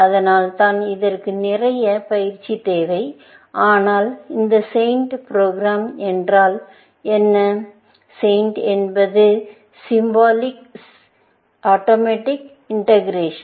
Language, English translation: Tamil, That is why, this needs a lot of practice, but what this program SAINT; SAINT stands for Symbolic Automatic Integration